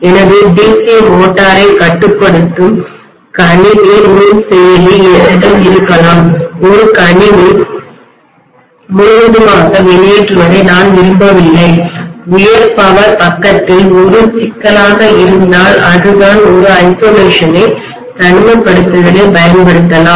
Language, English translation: Tamil, I may have a computer microprocessor controlling my DC motor, I do not want a computer to conk out completely, if that is a problem in the high power side, so I may use an isolation